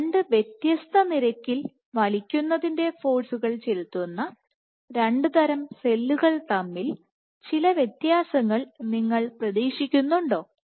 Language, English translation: Malayalam, What would do you expect to see some differences between 2 cell types, which exert pulling forces at completely different rates